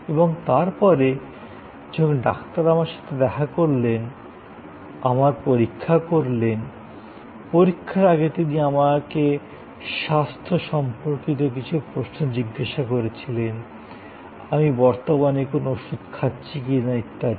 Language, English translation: Bengali, And then, when the doctor met me, doctor examine, before examination he asked me certain health related questions, what medicines I am currently taking and so on